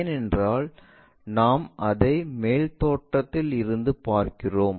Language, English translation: Tamil, Because we are viewing it from the top view